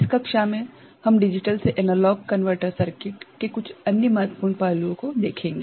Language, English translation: Hindi, In this class, we shall look at some other important aspects of a digital to analog converter circuit